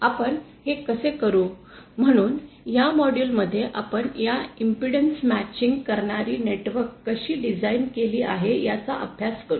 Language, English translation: Marathi, How do we do this, so in this module, we will be studying about how these impedance matching networks are designed